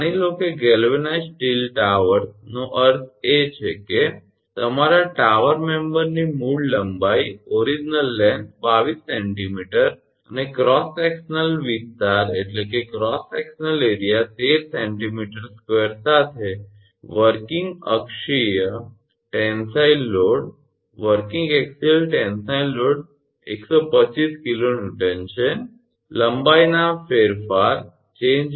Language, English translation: Gujarati, Suppose a galvanized steel towers meant your tower member has original length of 22 centimeter and cross sectional area 13 centimeter square with working axial tensile load of 125 kilo Newton, the change in length was 0